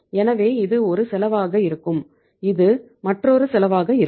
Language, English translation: Tamil, So this will be one cost, this will be another cost